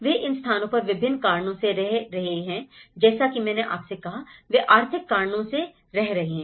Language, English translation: Hindi, So, they are staying for various reasons as I said to you, they are staying for the economic reasons, okay